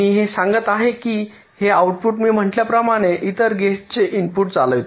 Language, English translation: Marathi, now what i am saying is that this output, as i said earlier, may be driving the inputs of other gates